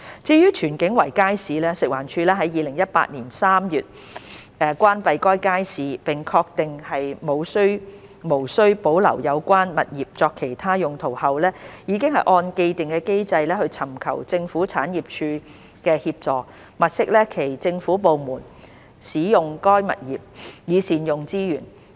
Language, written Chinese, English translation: Cantonese, 至於荃景圍街市，食環署於2018年3月關閉該街市並確定無須保留有關物業作其他用途後，已按既定機制尋求政府產業署協助，物色其他政府部門使用該物業，以善用資源。, As regards the Tsuen King Circuit Market which was closed in March 2018 having ascertained that there is no need to retain the property for other uses FEHD has sought GPAs assistance in accordance with the established mechanism to identify other government departments to make optimal use of the property